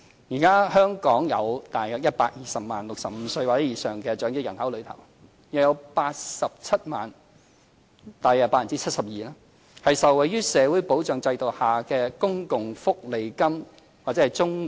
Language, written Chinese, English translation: Cantonese, 現時香港約120萬名65歲或以上的長者人口中，約87萬人——即大約 72%—— 受惠於社會保障制度下的公共福利金或綜援。, At present Hong Kong has around 1.2 million elderly people aged 65 or above and around 870 000 or 72 % of these elderly people are recipients of Social Security Allowance SSA and CSSA under the social security system